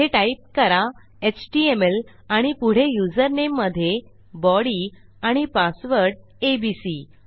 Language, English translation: Marathi, I type in html here and for my username I say body and just keep my password as abc